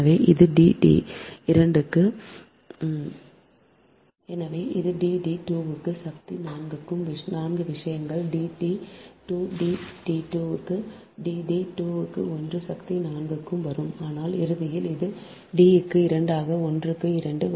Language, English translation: Tamil, so it will be d into d, d, two to the power, four, four things will come: d, d, two, d, d two into d, d, two to the power, one by four